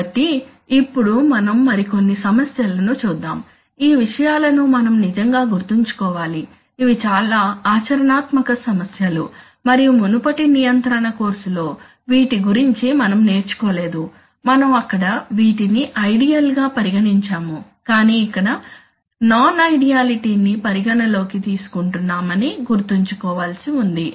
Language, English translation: Telugu, So, this is, this is, now let us look at some other issues for example, this, we have to, we have to actually remember these things, they are very practical issues and we possibly did not learn about these in our, in our earlier control course, where we treated things rather ideally, but we must remember here that some other non idealness exits